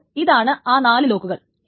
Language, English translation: Malayalam, Then there is a 6 lock